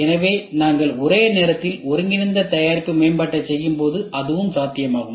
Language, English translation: Tamil, So, that is also possible when we do simultaneous integrated product development